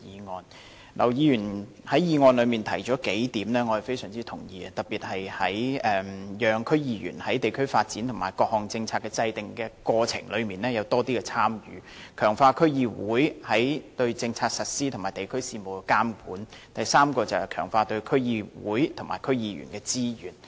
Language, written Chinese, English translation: Cantonese, 我非常認同劉議員在議案中提出的數點，特別是讓區議員在地區發展及各項政策的制訂過程中有更多的參與、強化區議會對政策實施及地區事務的監管，以及第三點，就是強化對區議會及區議員的支援。, I strongly agree with the points raised by Mr LAU in the motion especially those about enabling DC members to have greater participation in district development and during the process of formulating various policies strengthening the supervision of DCs over policy implementation and district affairs and the third point about enhancing the support to DCs and DC members